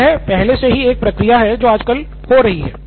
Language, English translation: Hindi, So this is already a process which is happening today